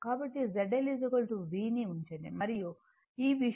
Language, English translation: Telugu, So, put Z L is equal to V and this thing if you do